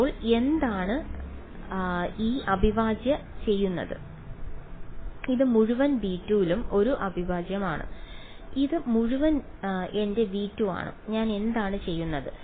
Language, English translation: Malayalam, So, what is this integral doing this is an integral over entire v 2 right this whole thing is my v 2 and what am I doing